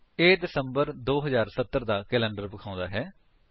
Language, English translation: Punjabi, This gives the calendar of December 2070